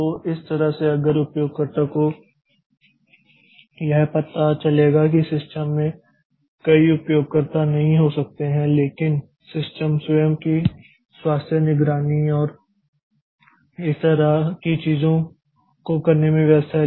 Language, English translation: Hindi, So, that way if the user will find that okay I don't there may not be many user in the system but the system is busy doing its own health monitoring and things like that